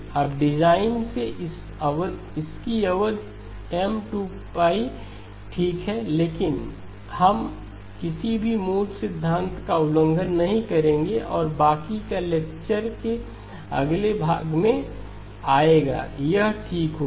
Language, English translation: Hindi, Now by design it will have a period M times 2pi okay but we will not violate any of the fundamental principles and that will come out in the next portion the rest of the lecture okay